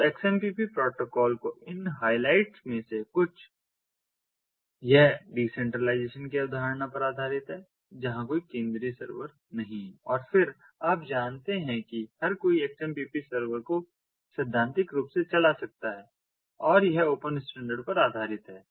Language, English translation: Hindi, so some of these highlights of the xmpp protocol: ah, it is based on the concept of decentralization, where there is no central server, and then you know, everybody can run the xmpp server theoretically